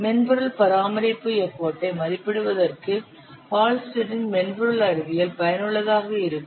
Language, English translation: Tamil, Hullstead software science is especially useful for estimating software maintenance effort